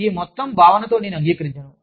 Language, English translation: Telugu, I do not agree, with this whole concept